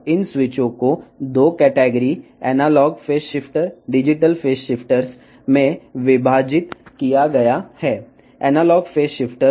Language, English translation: Telugu, Now, these switches are divided into 2 categories analogue phase shifter, digital phase shifters